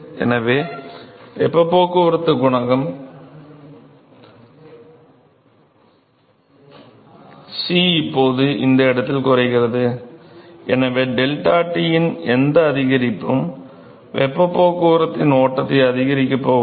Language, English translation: Tamil, So, heat transport coefficient will now at this location C it decreases significantly lower and so, any increase in deltaT is not going to increase in the to increase in the flux of heat transport ok